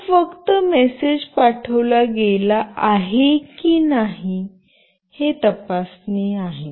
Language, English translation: Marathi, This is just for the checking purpose that the message has been sent or not